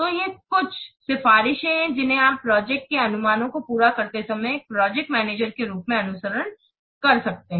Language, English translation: Hindi, So, these are some of the recommendations that you may follow as a project manager while carrying out project estimations